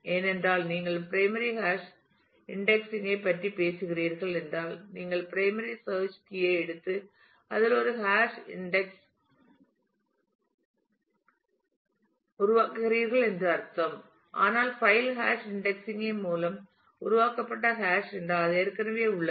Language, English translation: Tamil, Because if if you are talking about primary hash indexing then it will mean that you are taking the primary search key and creating a hash index on that, but if the file is hash created by hash indexing then that already exists